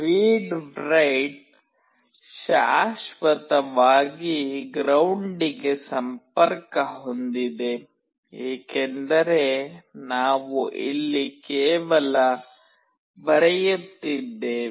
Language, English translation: Kannada, Read/write is permanently connected to ground, because we are only writing here